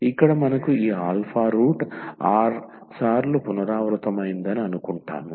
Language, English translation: Telugu, So, here we assume that we have this alpha root r times repeated